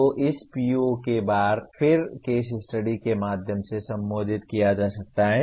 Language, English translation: Hindi, So this PO can be addressed through once again case studies